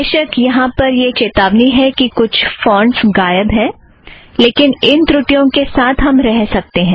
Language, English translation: Hindi, There is of course a warning that some fonts are missing often we can live with this short comings